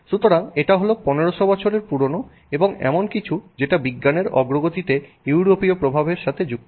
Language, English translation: Bengali, So, this is again you know 1,500 years old and something that is sort of associated with European influence in the progress of science